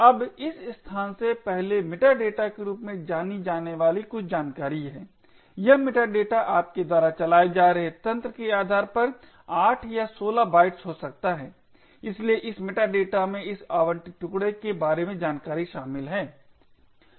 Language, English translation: Hindi, Now prior to this location there are some information known as meta data, this meta data could be either of 8 or 16 bytes depending on the system that you are running, so this meta data comprises of information about this allocated chunk